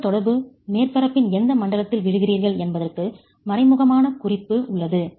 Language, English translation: Tamil, There is an implicit reference to which zone of the interaction surface are you falling in, right